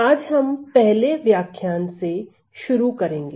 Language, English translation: Hindi, So, starting today it will be the first lecture